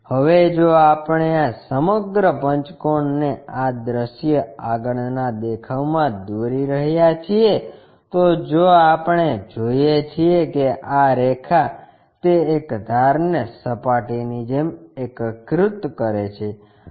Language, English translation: Gujarati, Now, the projection if we are drawing this entire pentagon in this view front view if we are looking from that this line coincides with that one edge as a surface